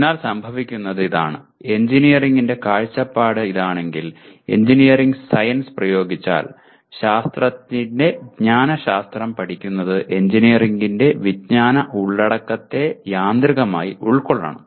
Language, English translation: Malayalam, So what happens is if this is the view of engineering, if engineering is applied science then studying the epistemology of science should automatically subsume the knowledge content of engineering